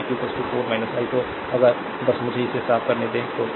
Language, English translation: Hindi, So, i 2 is equal to 4 minus 1 so, if just me let me clean it , right